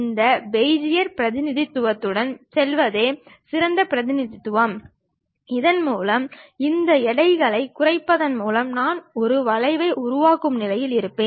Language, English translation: Tamil, The best representation is to go with this Bezier representation, where by minimizing these weights we will be in a position to construct a curve